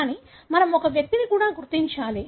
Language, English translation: Telugu, But, we also have to identify an individual